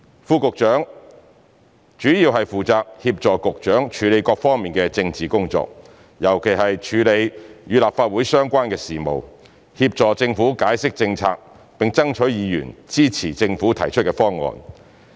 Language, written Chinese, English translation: Cantonese, 副局長主要負責協助局長處理各方面的政治工作，尤其是處理與立法會相關的事務，協助政府解釋政策，並爭取議員支持政府提出的方案。, Under Secretaries mainly assist secretaries of bureaux in the handling of all sorts of political tasks especially affairs in relation to the Legislative Council; assist the Government in explaining Government policies and to secure Members support for the Governments proposal